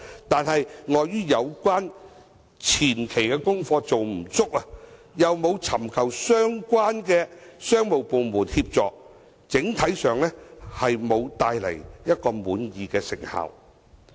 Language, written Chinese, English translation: Cantonese, 但是，礙於有關的前期功課做得不足，又沒有尋求相關商務部門協助，整體上沒有帶來一個令人滿意的成效。, However due to the inadequate preparatory work and without seeking the assistance of relevant commerce departments the overall effects were unsatisfactory